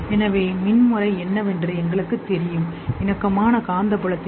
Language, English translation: Tamil, So, we know about electrical pattern, we know about the concomitant magnetic field